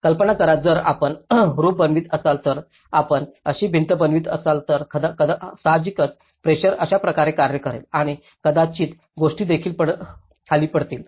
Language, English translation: Marathi, Imagine if you are making a roof like if you are making a wall like this, obviously the pressure acts this way and as things might tend to fall down here